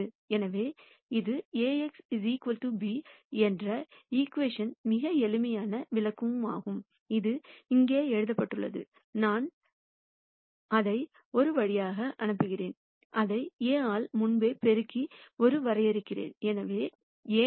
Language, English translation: Tamil, So, this is a very simple interpretation of this equation Ax equal to b, which is what is written here x, I send it through a and I define sending it through a as pre multiplying by A; so A times x equal b